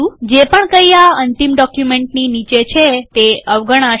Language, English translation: Gujarati, Whatever is below this end document gets ignored